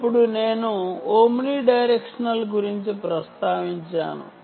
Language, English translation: Telugu, so i mentioned about omni directional